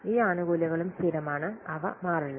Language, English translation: Malayalam, These benefits are also constant and they do not change